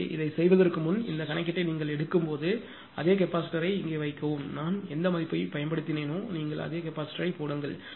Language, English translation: Tamil, So, before proceeding to this I will suggest you when you take this problem you put the same capacitor here, whatever value I have taken you put the capacitor